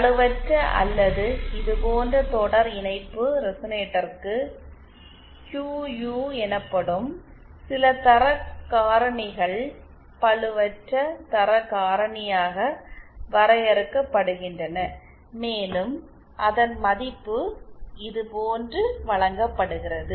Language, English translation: Tamil, For an unloaded or for a series resonator like this, some quality factors something called a QU is defined as the unloaded quality factor and its value is given like this